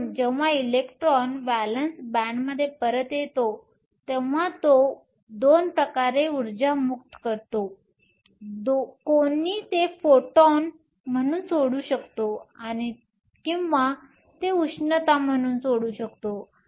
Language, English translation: Marathi, So, when the electron comes back to valence band, it can release the energy in 2 ways; one can release it as photons or it can release it as heat